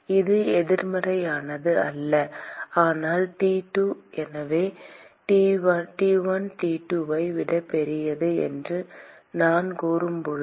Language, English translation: Tamil, It is not negative but T2 so, when I say T1 is greater than T2